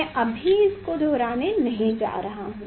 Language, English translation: Hindi, I am not going to repeat that one